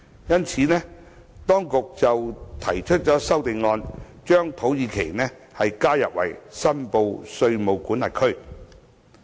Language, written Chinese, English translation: Cantonese, 因此，當局提出了一項全體委員會審議階段修正案，把土耳其加入為申報稅務管轄區。, Therefore the authorities have proposed a Committee stage amendment to add Turkey as a reportable jurisdiction